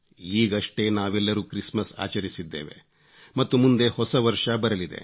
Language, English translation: Kannada, All of us have just celebrated Christmas and the New Year is on its way